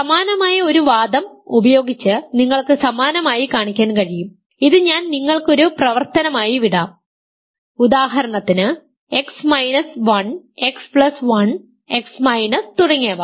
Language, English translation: Malayalam, Using a similar argument you can show similarly you can show I will leave this as an exercise for you, for example, that X minus 1, X plus 1 X minus and so, on